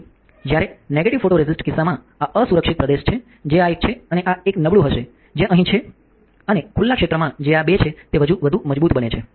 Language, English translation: Gujarati, When the case of negative photoresist the unexposed region which is this one and this one will be weaker which is here and the exposed region which is this two is become stronger